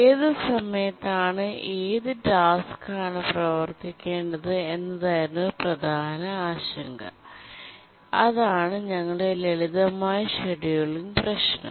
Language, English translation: Malayalam, We were worried which tasks should run at one time and that was our simple scheduling problem